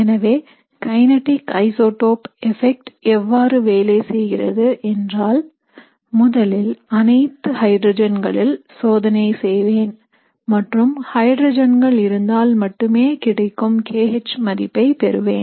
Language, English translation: Tamil, So how the kinetic isotope effect would work is, first I will do the experiment where I have all hydrogens and I will get the k H value which is the rate in the presence of only hydrogens